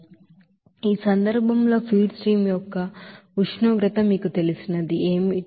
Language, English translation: Telugu, So in this case, what should be the you know temperature of feed stream